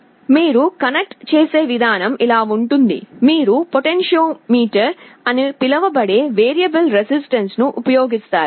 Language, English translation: Telugu, The way you connect is like this, you use a variable resistance called a potentiometer